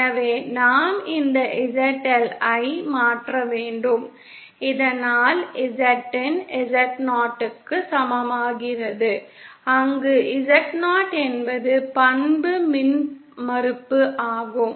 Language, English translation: Tamil, So we have to transform this ZL so that Z in becomes equal to Z 0 where Z 0 is the characteristic impedance